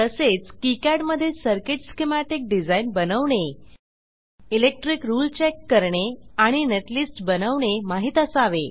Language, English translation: Marathi, User should know how to design circuit schematic in KiCad, And do electric rule check and netlist generation